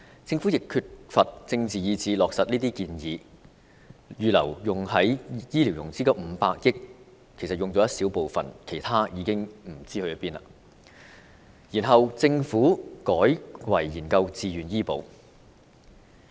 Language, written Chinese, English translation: Cantonese, 政府方面，缺乏政治意志落實強制醫保建議，預留作醫療融資的500億元只動用了一小部分，其餘不知所終，政府接着又改為研究自願醫保。, On the part of the Government it lacked a strong will to implement the mandatory health insurance proposal . After spending a small portion of the 50 billion earmarked for health care financing the Government turned to study VHIS and the whereabouts of the remaining funds was unknown